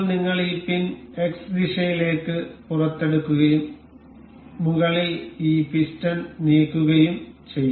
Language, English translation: Malayalam, Now, we will take this pin out in the X direction and we will move this piston on the top